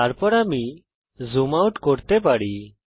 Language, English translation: Bengali, Then I can zoom out